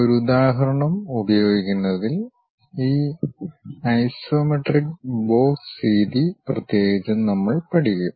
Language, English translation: Malayalam, And especially we will learn this isometric box method in using an example